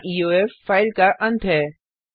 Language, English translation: Hindi, Here, EOF is the end of file